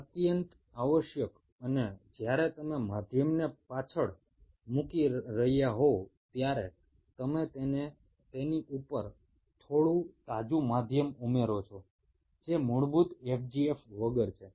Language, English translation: Gujarati, and while you are putting the medium back, you add some fresh medium on top of it which is without basic fgf